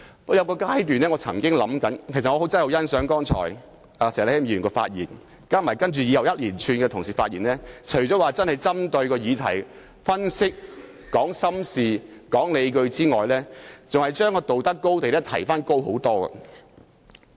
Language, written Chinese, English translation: Cantonese, 我真的很欣賞石禮謙議員剛才的發言，還有其後各同事的一連串發言，他們除了真正針對議題分析、說出心底話和提出理據外，還將道德高地大大提高。, I really appreciate the earlier speech made by Mr Abraham SHEK and those made by other colleagues thereafter . Not only have they made relevant analysis on the subject matter voiced sincere remarks and put forward justifications but they have also escalated the moral high ground to an even higher level